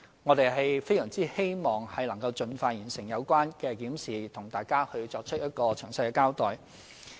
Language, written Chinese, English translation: Cantonese, 我們非常希望能夠盡快完成有關檢視，向大家作出詳細交代。, We very much hope to complete the reivew as soon as possible and then give a detailed account of it to Members